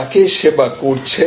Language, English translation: Bengali, Who are you serving